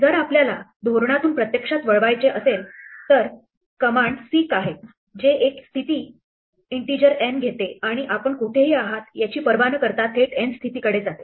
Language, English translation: Marathi, In case we want to actually divert from the strategy there is a command seek, which takes a position, an integer n, and moves directly to the position n regardless of where you are